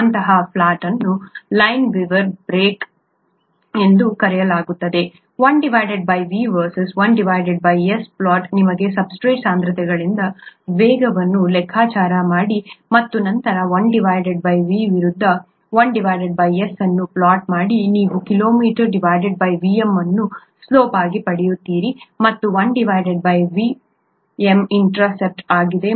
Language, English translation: Kannada, Such a plot is called the Lineweaver Burke plot, plot of 1 by V versus 1 by S, you calculate velocity from the substrate concentrations and then plot 1 by V versus 1 by S, you get Km by Vm as a slope, and 1 by Vm as the intercept